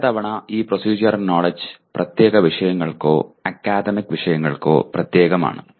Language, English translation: Malayalam, And many times, these procedural knowledge is specific or germane to particular subject matters or academic disciplines